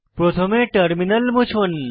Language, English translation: Bengali, Let us first clear the terminal